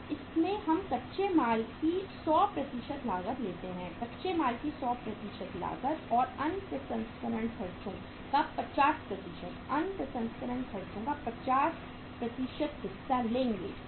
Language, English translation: Hindi, So in this we will take the 100% cost of raw material, 100% cost of raw material plus 50% of the other processing expenses OPE, 50% of the other processing expenses